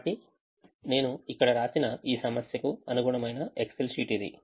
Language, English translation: Telugu, so this is the excel sheet corresponding to this problem that i have written here